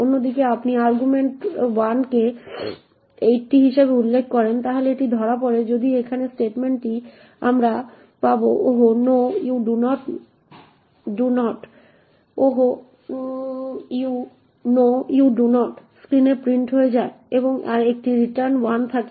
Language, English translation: Bengali, On the other hand if you specify argv1 as 80 then it is caught by this if statement over here we get ‘Oh no you do not’ gets printed on the screen and there is a return minus 5